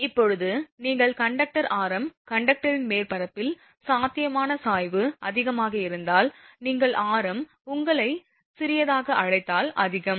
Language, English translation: Tamil, Now, you know that conductor radius that potential gradient at the surface of the conductor is high if radius is your what you call small